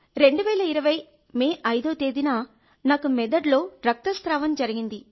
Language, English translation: Telugu, Sir, on the 5th of May, 2020, I had brain haemorrhage